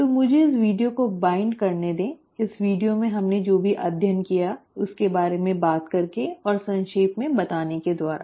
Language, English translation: Hindi, So let me just wind up this video by talking about and summarising what we studied in this video